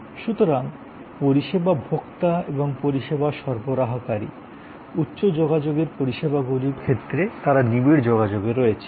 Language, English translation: Bengali, So, the service consumer and the service provider, they are in intense contact in case of high contact services